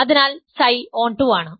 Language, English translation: Malayalam, So, psi is onto